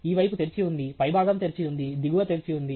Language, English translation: Telugu, This side is open, top is open, bottom is open